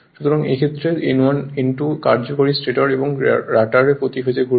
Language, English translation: Bengali, So, in this case where N1, N2 the effective stator and rotor turns per phase right